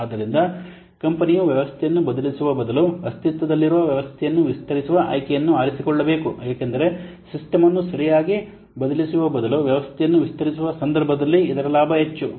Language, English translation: Kannada, So, the company should choose the option of extending the existing system rather than replacing the system because the benefit will be more in case of extending system rather than replacing the system